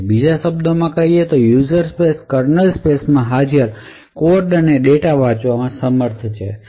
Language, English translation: Gujarati, In other words, a user space would be able to read code and data present in the kernel space